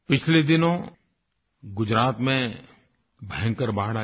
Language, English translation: Hindi, Gujarat saw devastating floods recently